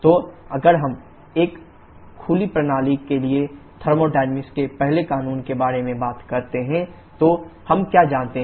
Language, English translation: Hindi, So if we talk about the first law of thermodynamics for an open system, then what do we know